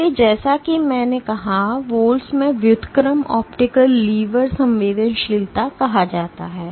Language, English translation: Hindi, So, InVols as I said is called inverse optical lever sensitivity